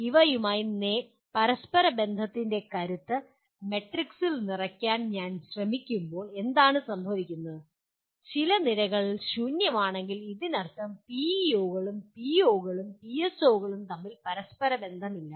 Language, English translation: Malayalam, When I try to fill the matrix with the strength of correlation between these things what would happen is, if some columns are empty, that means PEOs and POs and PSOs are not correlated